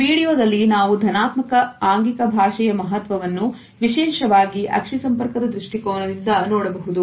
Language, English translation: Kannada, In this video we can look at the significance of positive body language particularly from the perspective of eye contact